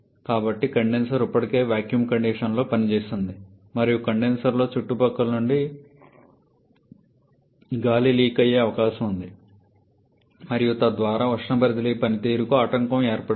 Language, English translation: Telugu, So, the condenser is already operating under vacuum condition and there is every possibility of air leaking from surrounding into the condenser and the hampering the heat transfer performance